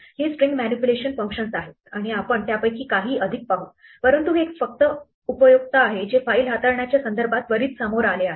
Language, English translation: Marathi, These are the string manipulation functions and we will look at some more of them, but this is just useful one which has come up immediately in the context of file handling